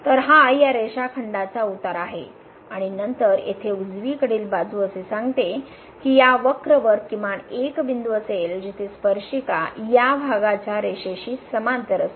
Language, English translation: Marathi, So, this is the slope of this line segment and then the right hand side here says that there will be at least one point on this curve where the tangent will be parallel to this quotient line